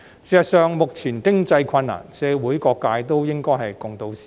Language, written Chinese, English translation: Cantonese, 事實上，面對目前的經濟困難，社會各界都應該同渡時艱。, Actually in the face of present economic hardship all walks of society should tide over the difficult times together